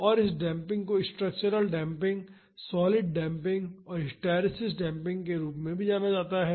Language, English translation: Hindi, And, this damping is also known as structural damping, solid damping, and hysteresis damping